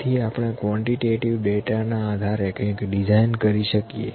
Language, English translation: Gujarati, So, we can design something based on the quantitative data